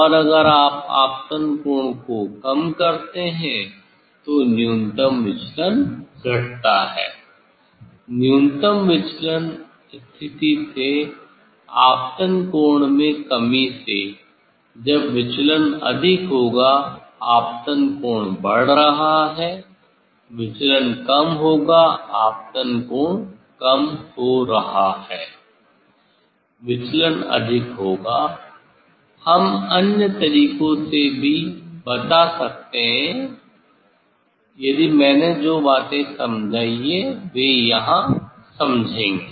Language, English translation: Hindi, And if you decrease the incident angle; if you decrease the incident angle then the minimum deviation, decrease the angle from the decrease the incident angle from the minimum deviation position then the divergence will be more, incident angle is increasing, divergence will be less; incident angle is decreasing, divergence will be more, we can tell in other way also if just; what the things I told that will understand here